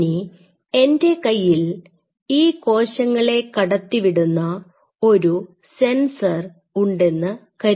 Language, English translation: Malayalam, Now, I have a sensor say for example, I allow the cells to flow